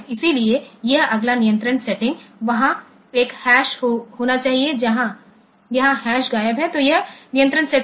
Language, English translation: Hindi, So, this next this control setting there should be a hash here the hash is missing; so this control setting